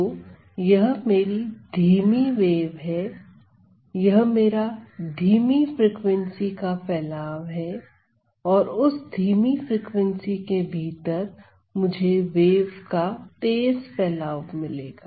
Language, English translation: Hindi, So, this is my slow wave this is my slow the slow frequency evolution and within that slow frequency I will get the fast evolution of the wave; so, the speed of this